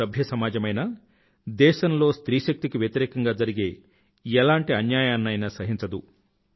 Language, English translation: Telugu, No civil society can tolerate any kind of injustice towards the womanpower of the country